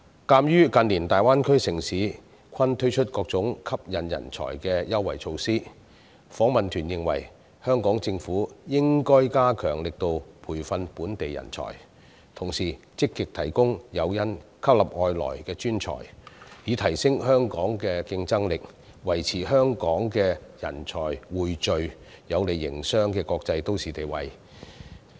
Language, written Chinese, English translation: Cantonese, 鑒於近年大灣區城市均推出各種吸引人才的優惠措施，訪問團認為香港政府應該加大力度培訓本地人才，同時積極提供誘因吸納外來專才，以提升香港的競爭力，維持香港人才匯聚、有利營商的國際都市地位。, Given that other cities in the Greater Bay Area have introduced various preferential measures to attract talents in recent years the Delegation takes the view that the Hong Kong Government should step up its efforts in training local talents and actively introduce incentive measures to attract foreign professionals thereby enhancing Hong Kongs competitiveness and maintaining Hong Kongs status as a business - friendly international city with a pool of talents